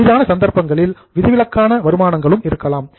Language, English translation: Tamil, In rare cases there can be also exceptional incomes